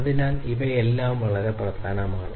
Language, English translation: Malayalam, So, these are very important